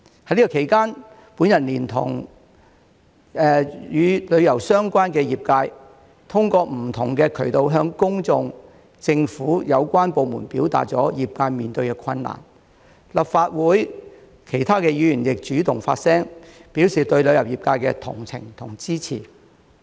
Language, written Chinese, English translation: Cantonese, 在此期間，我聯同與旅遊相關的業界，通過不同渠道向公眾、政府有關部門表達業界面對的困難，立法會其他議員亦主動發聲，表示對旅遊業界的同情和支持。, During this period I have joined hands with the tourism - related industries to express to the public and the relevant government departments through various channels the difficulties faced by the sector and other Members of the Legislative Council have also taken the initiative to voice their sympathy and support for the tourism sector